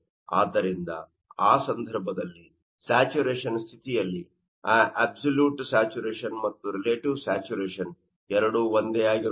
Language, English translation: Kannada, So, in that case, at you know saturation condition that absolute saturation and relative saturation both will be the same